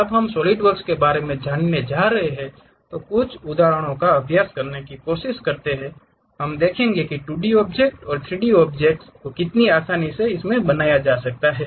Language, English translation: Hindi, When we are going to learn about Solidworks try to practice couple of examples, we will see how easy it is to really construct 2D objects and 3D objects